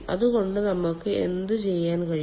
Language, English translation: Malayalam, so what can we do